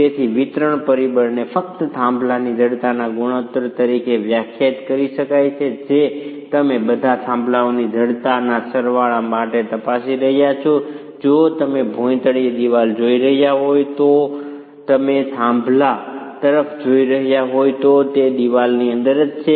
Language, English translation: Gujarati, So, the distribution factor can simply be defined as the ratio of stiffness of the peer that you are examining to the sum of the stiffnesses of all the piers in the if you are looking at a wall it is the floor, if you are looking at the peer it is within a wall itself